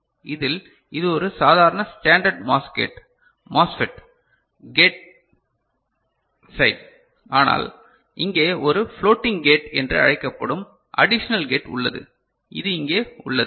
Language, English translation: Tamil, In this there is a this is the normal standard MOS gate – MOSFET, the gate side, but here there is an additional gate called floating gate that is put over here ok